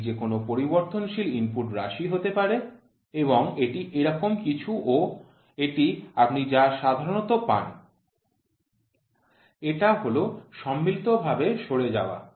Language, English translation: Bengali, This can be any input variable, and this is something like this and this is what is your normally what you get this is called as combined drift